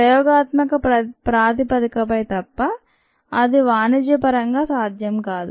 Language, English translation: Telugu, expect on an experimental basis may be, but its not really commercially viable